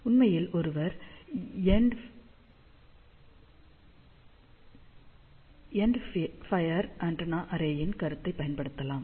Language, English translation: Tamil, So, one can actually apply the concept of the end fire antenna array